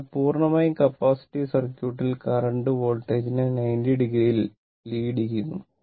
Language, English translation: Malayalam, So, in purely capacitive circuit, the current leads the voltage by 90 degree